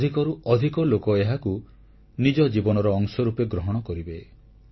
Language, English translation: Odia, More and more people will come forward to make it a part of their lives